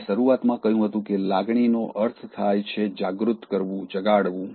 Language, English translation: Gujarati, I said at the outset that emotion means “to stir up”